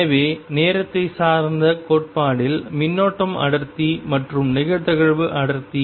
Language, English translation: Tamil, So, current density and probability density in time dependent theory